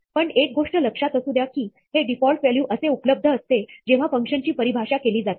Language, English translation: Marathi, But, one thing to remember is that, this default value is something that is supposed to be available when the function is defined